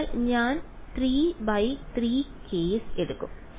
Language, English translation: Malayalam, So, I will just take a 3 by 3 case